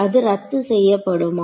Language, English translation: Tamil, So, does it cancel off then